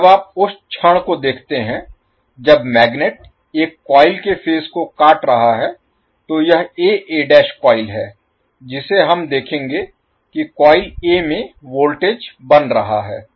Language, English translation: Hindi, So, when the moment you see the, the magnet is cutting phase a coil, so, that is a a dash coil we will see that the voltage is being building up in the coil A